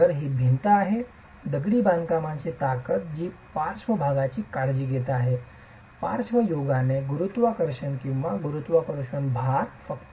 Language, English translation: Marathi, So, it's the wall, the strength of the masonry that's actually taking care of lateral come gravity or gravity loads alone